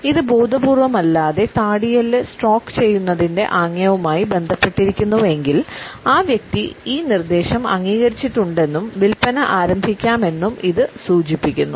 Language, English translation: Malayalam, If this is also associated with a gesture of absentmindedly stroking the chin; then it is an indication that the person has agreed to the proposal and the sales can be pitched in